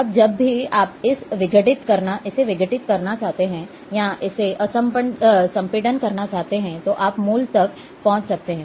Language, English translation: Hindi, Now, whenever you want to decompress it, or uncompress it, you can reach to the original